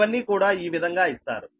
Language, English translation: Telugu, this way it will be given